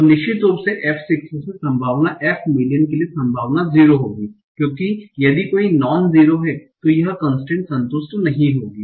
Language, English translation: Hindi, So of course, probability for F6 to probability F million will be zero, because if any of this is non zero, this constraint will not be satisfied